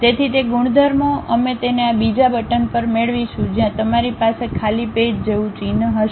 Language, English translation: Gujarati, So, those properties we will get it at this second button where you will have an icon like a blank page